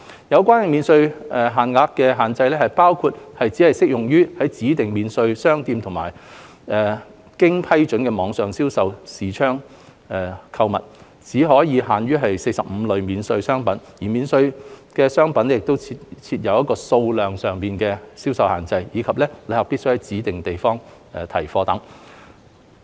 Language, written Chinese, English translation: Cantonese, 有關免稅額設有限制，包括只適用於在指定免稅商店內或經批准的網上銷售視窗購物；只可購買45類免稅商品；免稅商品設有數量限制；以及旅客必須在指定地點提貨。, The relevant allowance involves various restrictions including that it is only applicable to purchases made at designated duty - free shops or through approved online sales platforms; it is only applicable to 45 types of duty - free products and is subject to quantity limits; and travellers must pick up their purchases at designated locations